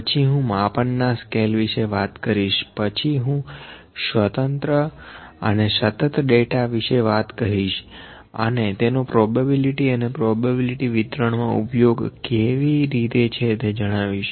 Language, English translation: Gujarati, Then we will discuss the scales of measurement, then I will discuss about discrete and continuous data and how these are used in probability and probability distributions